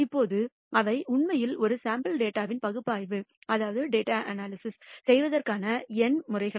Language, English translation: Tamil, Now, those are numerical methods of actually doing analysis of a sample data